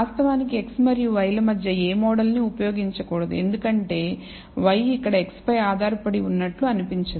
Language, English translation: Telugu, In fact, no model should be used between x and y, because y does not seem to be dependent on x here